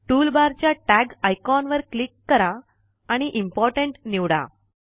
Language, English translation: Marathi, From the toolbar, click the Tag icon and click Important again